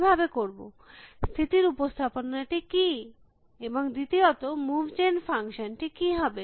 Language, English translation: Bengali, How can I, what is the state representation and secondly, what is going to be the move gen function